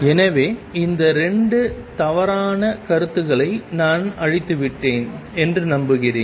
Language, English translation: Tamil, So, I hope I have cleared these 2 misconceptions which are quite prevalent